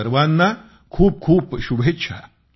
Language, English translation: Marathi, Heartiest felicitations to all of you